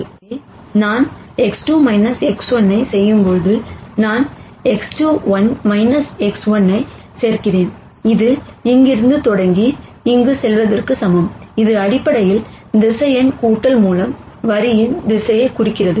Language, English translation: Tamil, So, when I do X 2 minus X 1 I am adding X 2 1 minus X 1, which is equivalent to starting from here and going here ; which is basically through vector addition in the direction of this line